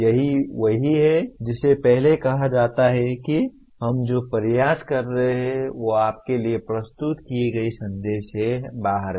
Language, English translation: Hindi, That is what is called the earlier what we are trying is construct a message out of what is presented to you